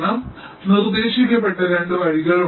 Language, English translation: Malayalam, so there are two ways that have been proposed